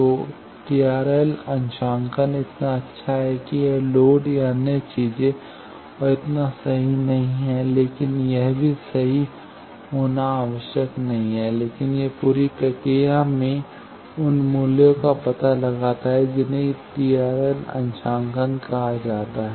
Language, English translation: Hindi, So, TRL calibration is so good that this loads or other things and not so perfect but it is not required to be perfect also, but it finds out those values in the whole process this is called TRL calibration